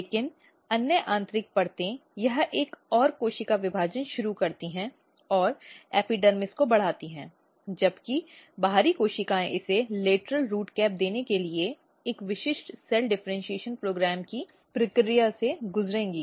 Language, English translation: Hindi, But other inner layers this start another cell division and give raise to epidermis whereas, outer cells it will undergo the process of a specific cell differentiation program to give lateral root cap this is important